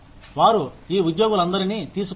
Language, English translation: Telugu, They take all these employees